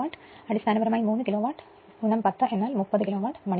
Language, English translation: Malayalam, So, basically 3 Kilowatt into 10 means 30 Kilowatt hour right